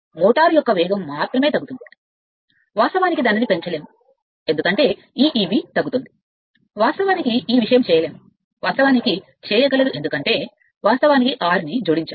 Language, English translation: Telugu, The speed of the motor can only be decreased, you cannot increase it, because because of this your E b is decreasing right, you cannot this thing, you can because, you have added r